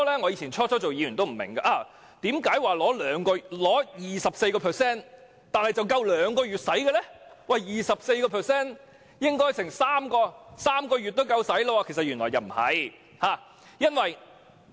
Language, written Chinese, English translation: Cantonese, 我剛出任議員時也不明白，為何取 24% 的撥款只足夠兩個月的開支，理應足夠3個月使用，但原來事實並非如此。, When I first became a Member I also could not figure out why 24 % of the annual provisions could only meet the expenditure for two months; supposedly the amount should be sufficient for three months . However that is not really the case